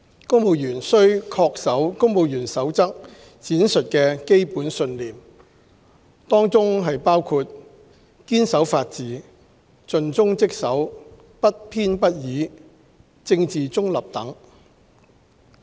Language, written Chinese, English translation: Cantonese, 公務員須恪守《公務員守則》闡述的基本信念，當中包括堅守法治、盡忠職守、不偏不倚、政治中立等。, Civil servants are required to comply with the Civil Service Code which sets out among others the core values of the civil service that civil servants should uphold including commitment to the rule of law dedication impartiality and political neutrality etc